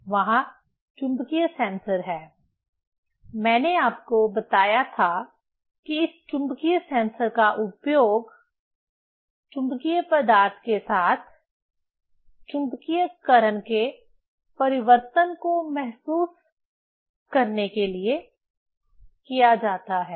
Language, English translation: Hindi, There is the magnetic sensors, I told you that this magnetic sensor is used to sense the change of the magnetization with the magnetic material